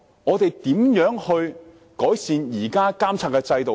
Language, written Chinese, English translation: Cantonese, 我們如何改善現有的監察制度呢？, How can the existing supervisory system be improved?